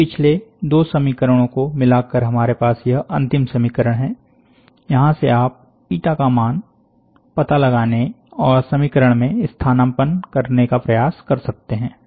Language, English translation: Hindi, Combining these previous two equations, we have, this is the final equation, from here you can try to find out the eta value and try to substituted in the equation